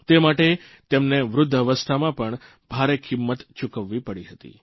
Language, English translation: Gujarati, For this, he had to pay a heavy price in his old age